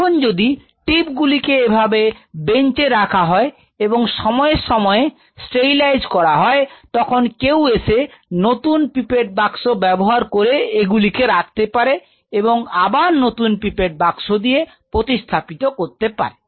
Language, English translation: Bengali, If the pipette tip sitting there on the bench which time to time are sterilized and every time you use somebody comes with a fresh pipette box, pipette tip box and kept it there and remove it and again replace it some new pipette tip box